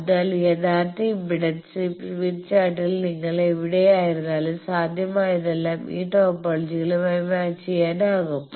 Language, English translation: Malayalam, So, all possible wherever you are in the smith chart in the original impedance always it can be matched by these topologies